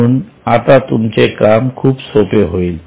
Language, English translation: Marathi, So now your job will be simple